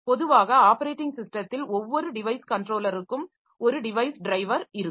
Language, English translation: Tamil, Typically operating systems have a device driver for each device controller